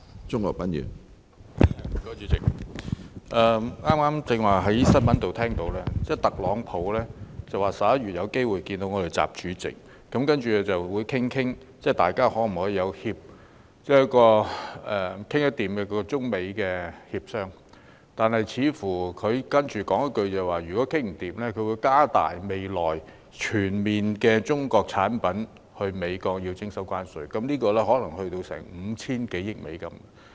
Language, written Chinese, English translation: Cantonese, 主席，我剛才從新聞報道得悉，特朗普表示有機會在今年11月與習主席會面，商討可否進行中美協商，但他接着說，如果談不攏，就會在未來對進口美國的中國產品全面徵收關稅，涉及的金額可能高達 5,000 多億美元。, President I just learnt from the news that Donald TRUMP indicated that he might meet with President XI in November this year to discuss the possibility of a China - US negotiation . However he added that if no agreement could be reached tariffs would be imposed on all imports from China amounting to as much as US500 - plus billion